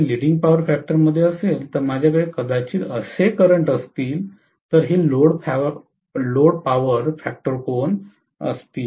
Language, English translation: Marathi, If it is leading power factor, I am probably going to have a current like this, this is the load power factor angle